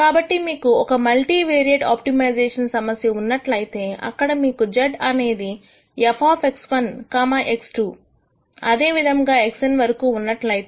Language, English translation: Telugu, So, if you have a multivariate optimization problem where you have z is f of x 1, x 2 all the way up to x n